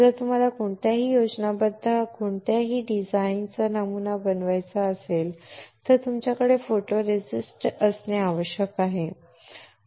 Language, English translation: Marathi, If you want to pattern any schematic any design you need to have a photoresist